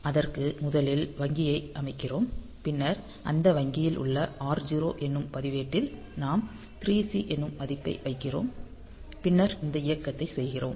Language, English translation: Tamil, So, in this case when we do this so, we are setting R0 first of all we set the bank then in that bank in the R0 register; we are putting this value 3 C and then doing this movement or you can fall